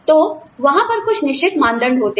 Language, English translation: Hindi, So, you know, there are certain defining criteria